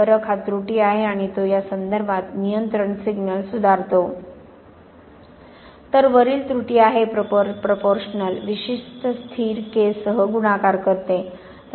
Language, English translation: Marathi, The difference is the error and it modifies the control signal in terms of this, so this is the error, the proportional multiplies the error with a certain constant